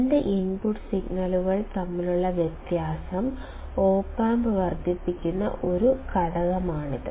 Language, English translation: Malayalam, It is a factor by which the difference between two input signals is amplified by the op amp